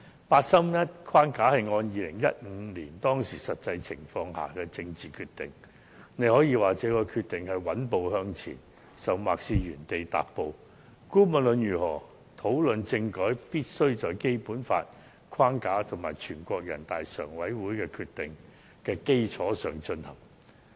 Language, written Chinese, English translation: Cantonese, 八三一框架是按照2015年的實際情況作出的政治決定，大家可以說這個決定是穩步向前，甚或是原地踏步，但無論如何，討論政改時必須在《基本法》的框架和全國人民代表大會常務委員會的決定的基礎上進行。, The 31 August framework is a political decision made in the light of the actual situation in 2015 . Members can say that the decision represents steadily forward movement or even a standstill but no matter what any discussion on constitutional reform must be conducted within the framework on the Basic Law and on the basis of the decision made by the Standing Committee of the National Peoples Congress